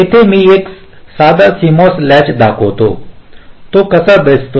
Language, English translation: Marathi, here i show a simple cmos latch how it looks like